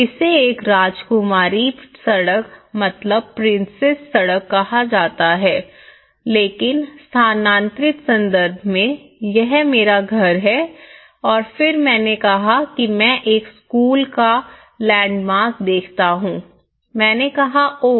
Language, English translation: Hindi, So in that way, this is called a princess street but in relocated context, this is my house and then I said I give a landmark this is the school then I said oh